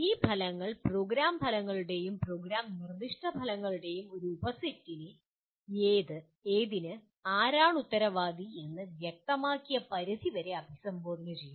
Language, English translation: Malayalam, These outcomes in turn address a subset of Program Outcomes and Program Specific Outcomes to the extent the accountability who is responsible for what is made very clear